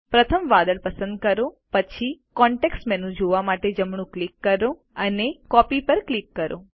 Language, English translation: Gujarati, First select the cloud, then right click to view the context menu and click Copy